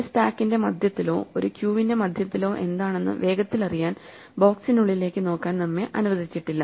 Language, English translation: Malayalam, We are not allowed to exploit what is inside the box in order to quickly get access say to the middle of a stack or the middle of a queue